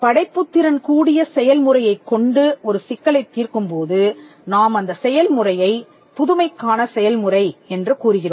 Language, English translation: Tamil, When there is a problem that is solved using a creative process this entire process is called Process of Innovation